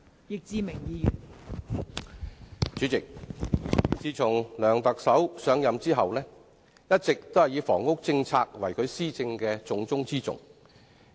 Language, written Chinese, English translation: Cantonese, 代理主席，梁特首自上任後，一直以房屋政策為其施政的重中之重。, Deputy President since Chief Executive C Y LEUNG took office he has all along regarded housing policy as a top priority of his administration